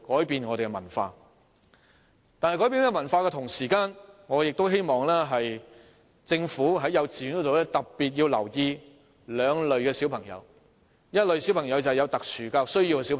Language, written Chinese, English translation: Cantonese, 然而，在改變這文化的同時，我亦希望政府在幼稚園教育方面特別留意兩類小朋友，其中一類是有特殊教育需要的小朋友。, However in changing this culture I also hope that the Government will pay special attention to two types of children in kindergarten education . One is children with special educational needs SEN